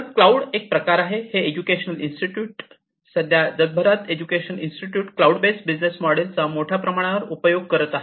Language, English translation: Marathi, So, one type is basically the educational institutions; so presently worldwide, educational institutions use these cloud based business model quite extensively